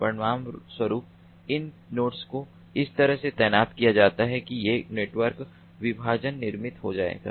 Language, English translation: Hindi, these nodes are positioned in such a way that these network partitions will be created